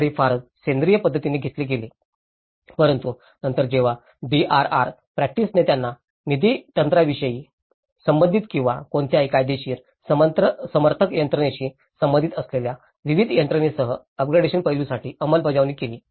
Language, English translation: Marathi, So, it has been grown very organically but then when the DRR practice has enforced them for up gradation aspect with various mechanisms whether related to funding mechanism or any legal support mechanisms